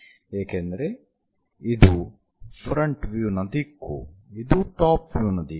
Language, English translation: Kannada, because this is front view, this is top view